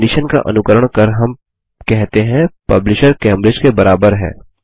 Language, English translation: Hindi, Followed by a condition, where we say Publisher equals Cambridge Let us run our query now